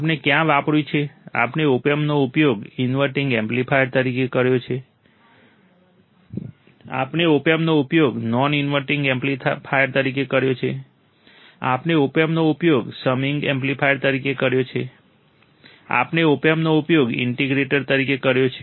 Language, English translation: Gujarati, What we have used, we have used opamp a as an inverting amplifier, we have used the opamp as a non inverting amplifier, we have used opamp as a summing amplifier, we have used the opamp as an integrator